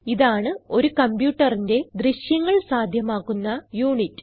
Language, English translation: Malayalam, It is the visual display unit of a computer